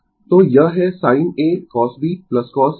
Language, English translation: Hindi, So, it is sin a cos b plus cos a sin b